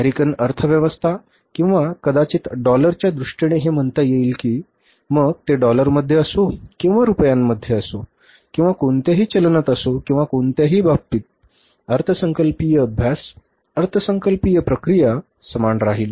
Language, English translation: Marathi, So, these are in terms of the, say, American economy or maybe the in terms of dollars, but they are equally applicable that whether it is in dollars or in rupees or in any currency or in any amount or in any case, the budgeting exercise, the budgetary process is going to remain the same